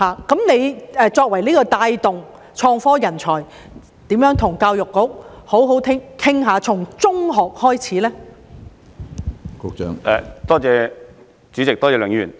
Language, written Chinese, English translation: Cantonese, 局長作為帶動創科的人才，如何與教育局好好商討，從中學開始處理呢？, Can the Secretary as a talent to promote IT negotiate with the Education Bureau to deal with this issue from secondary schools onwards?